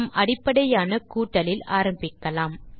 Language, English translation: Tamil, We will start with the most basic, summing